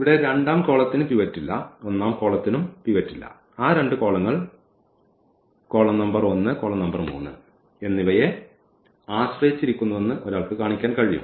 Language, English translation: Malayalam, These column here does not have a pivot this does not have a pivot and one can show that those two columns depend on this column number 1 and column number 3